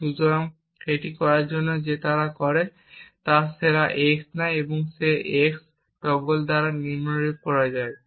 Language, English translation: Bengali, So, in ordered to do this what he does is he takes x and he devise it by x~ as follows